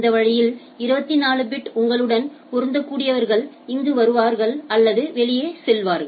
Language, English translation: Tamil, That this way incoming with 24 bit whoever is matching you will be coming here or going out